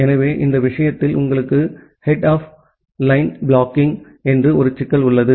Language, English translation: Tamil, So, in this case you have a problem called head of line blocking